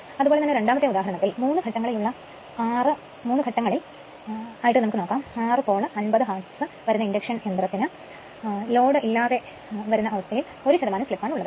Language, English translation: Malayalam, Similarly, example 2 is a 3 phase, 6 pole, 50 hertz induction motor has a slip of 1 percent at no load and 3 percent of full load right